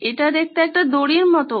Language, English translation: Bengali, This looks like a rope